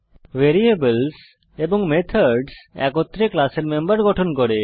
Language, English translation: Bengali, We know that variables and methods together form the members of a class